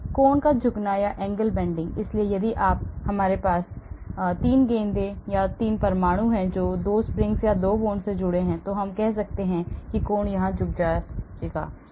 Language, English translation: Hindi, Angle bending, so if we have 3 balls or 3 atoms connected with 2 springs or 2 bonds so we can, angle can be bent here